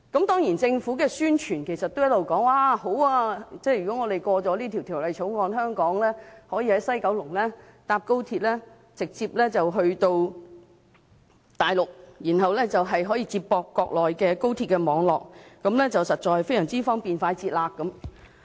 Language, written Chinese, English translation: Cantonese, 當然政府的宣傳也一直說，如果通過《條例草案》，香港人可以在西九龍站乘搭高鐵直接前往大陸，然後接駁國內高鐵網絡，實在非常方便快捷。, Certainly the Government has all along publicized that if the Bill is passed Hong Kong people can take XRL at the West Kowloon Station to travel directly to the Mainland and then be connected to the Mainland high - speed rail network